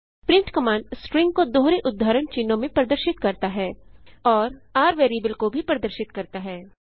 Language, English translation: Hindi, print command displays the string within double quotes and also displays variable $r